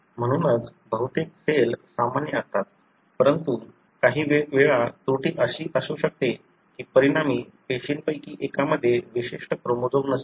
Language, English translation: Marathi, Therefore, majority of the cell are normal, but at times the error could be such that one of the resulting cell would not have a particular chromosome